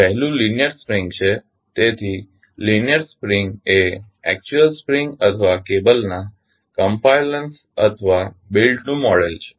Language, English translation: Gujarati, One is linear spring, so linear spring is the model of actual spring or a compliance of cable or belt